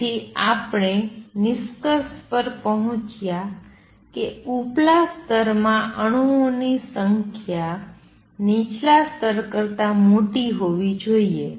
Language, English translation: Gujarati, So, this is what we have come to the conclusion that the upper level should have number of atoms larger than those in lower level